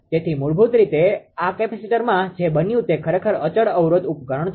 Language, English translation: Gujarati, So, basically what happened this capacitor actually it is a constant impedance device